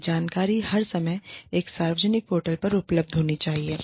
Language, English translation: Hindi, This information should be available, on a public portal, at all times